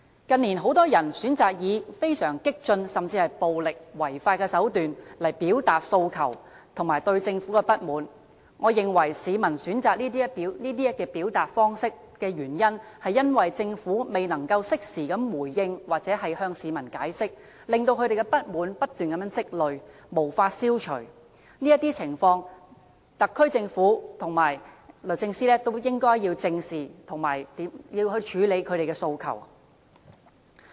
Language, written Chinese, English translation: Cantonese, 近年，很多人選擇以非常激進，甚至是暴力違法的手段來表達訴求和對政府的不滿，我認為市民選擇這些表達方式的原因，是政府未能適時作回應或向市民解釋，令他們的不滿不斷積累，無法消除，這些情況特區政府和律政司也應該正視，並處理他們的訴求。, Many people in recent years chose very radical means or even violent and illegal means to express their aspirations and discontent towards the Government . I believe their reason for choosing these ways of expression is the Governments failure in making timely response or explanation to the public . The SAR Government and the Judiciary should face up to the escalating public discontent which they find nowhere to vent and address their aspirations